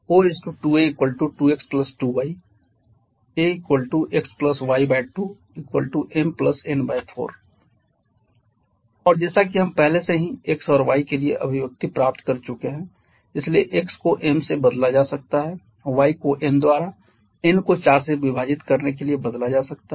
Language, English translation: Hindi, So we have a equal to x upon x + y by 2 and as we have already got the expression for x and y so x can be replaced by m, y can be replaced by n to have n by 4